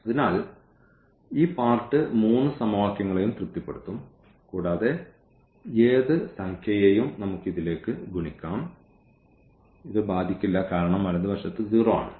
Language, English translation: Malayalam, So, it will satisfy all these three equations this part and any number also we can multiply it to this, it will not affect because the right hand side is0